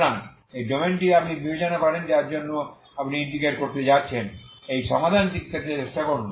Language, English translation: Bengali, So this is the domain you consider as ∆ for which you are going to integrate try to get this solution